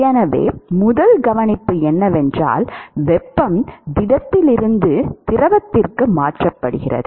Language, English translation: Tamil, So, the first observation is that, heat transferred from solid to liquid